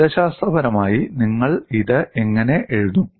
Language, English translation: Malayalam, Mathematically, how will you write it